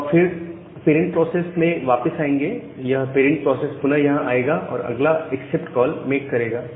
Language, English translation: Hindi, So, in the parent process you will return back and the parent process will again come here and make the next accept call